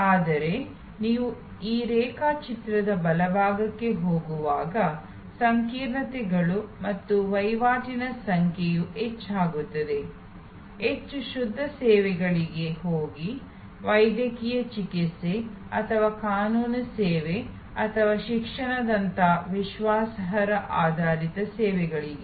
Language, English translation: Kannada, But, the complexities and the number of tradeoffs go up as you go towards the right of that diagram, go more to pure services, credence based services like medical treatment or legal service or education